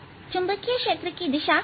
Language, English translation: Hindi, so direction of the magnetic field is perpendicular